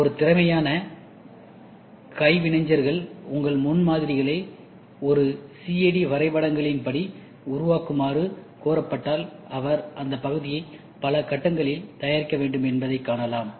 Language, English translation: Tamil, If a skilled craftsman was requested to build your prototyping according to a set of CAD drawings, he may find that he must manufacture the part in number of stages